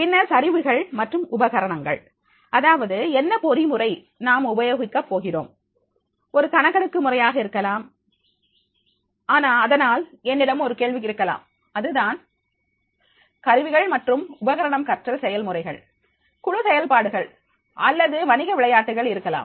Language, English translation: Tamil, Then the tools and equipment, that what mechanism we are going to use, maybe the survey methods and therefore there can be a questionnaire that will be the tool and equipment, learning activities like the group activities, a business game